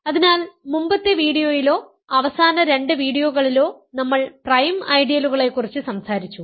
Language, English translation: Malayalam, So, we also talked in the previous video or last two videos about prime ideals